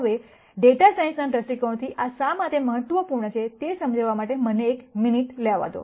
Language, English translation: Gujarati, Now, let me take a minute to explain why this is important from a data science viewpoint